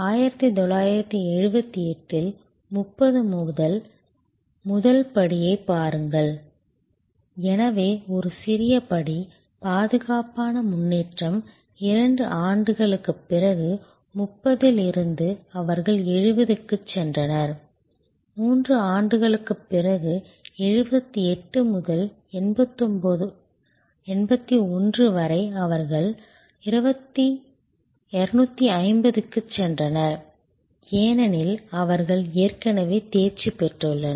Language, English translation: Tamil, In 1978 from 30, see the first step therefore, was a small step, secure progress, 2 years later from 30, they went to 70, 3 years later from 78 to 81 from 70 they went to 250, because they are already mastered the process